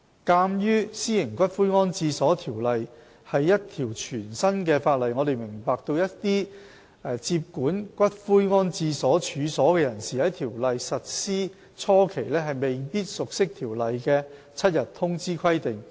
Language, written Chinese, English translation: Cantonese, 鑒於《私營骨灰安置所條例》是一條全新的法例，我們明白一些接管骨灰安置所處所的人士在《條例》實施初期，未必熟悉《條例》的7日通知規定。, As the Private Columbaria Ordinance is a new piece of legislation we understand that during the initial stage of implementation of the Ordinance some persons taking possession of columbarium premises may not be versed in the seven - day notification requirement of the Ordinance